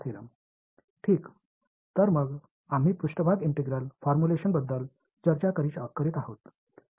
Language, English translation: Marathi, Alright; so, let us review the, we were discussing the surface integral formulation